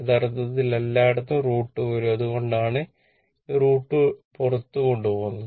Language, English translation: Malayalam, Actually everywhere root 2 will come that is why this root 2 is taken outside, right